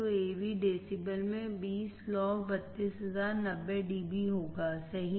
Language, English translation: Hindi, So, AV in decibel 20 log 32,000 there will be 90 dB right